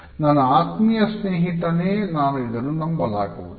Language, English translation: Kannada, My best friend I cannot believe this